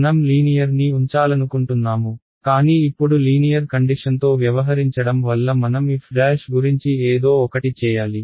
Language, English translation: Telugu, I want to keep linear right, but dealing with linear terms now I have to do somehow do something about this f prime